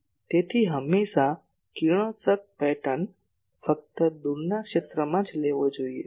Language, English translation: Gujarati, So, always radiation pattern should be taken only at the far field